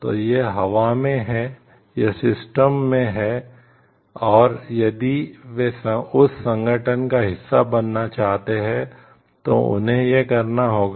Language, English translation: Hindi, So, that it is there in the air, it is there in the system and, they have to follow it if they want to be a part of that organization